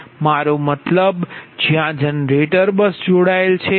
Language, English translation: Gujarati, i mean buses where generators are connected right